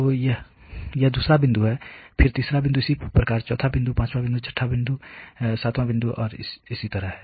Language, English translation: Hindi, So, this is the second point, then the third point correspondingly the fourth point, fifth point, 6th point, seventh point, so and so far